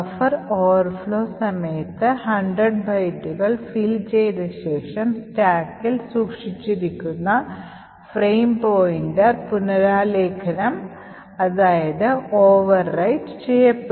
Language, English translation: Malayalam, What we expect should happen during the buffer overflow is that after this 100 bytes gets filled the frame pointer which is stored in the stack will get overwritten